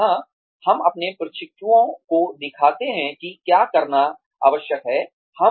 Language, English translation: Hindi, Where, we show our trainees, what is required to be done